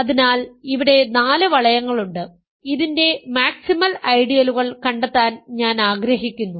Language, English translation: Malayalam, So, there are four rings here, I want to find the maximal ideals of this